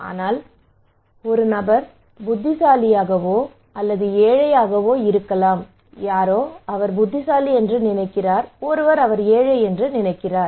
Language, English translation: Tamil, But this person is wise or poor somebody thinks he is wise somebody thinks he is poor right